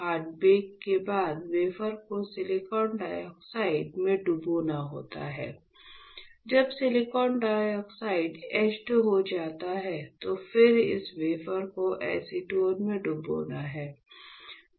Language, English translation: Hindi, After hard bake you have to dip the wafer in silicon dioxide etchant, when silicon dioxide gets etched the next step would be, will dip this wafer in acetone